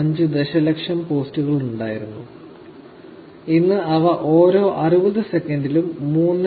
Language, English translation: Malayalam, 5 million posts every 60 seconds